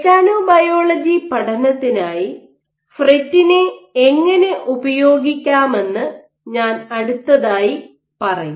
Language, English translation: Malayalam, I will said that I would next come to how can we make use of FRET for mechanobiology studies